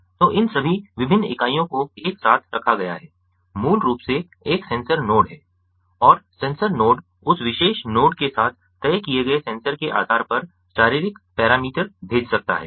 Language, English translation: Hindi, so all these different units put together, ah is basically a sensor node and the sensor node can sends the physiological parameter based on the sensor that is ah fixed with that particular node